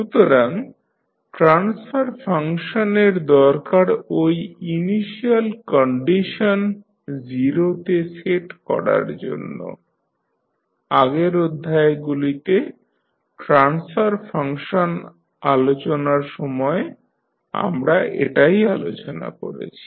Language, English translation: Bengali, So, by definition the transfer function requires that initial condition to be said to 0, so this is what we have discussed when we discussed the transfer function in the previous lectures